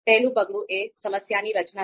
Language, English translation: Gujarati, So first one is problem structuring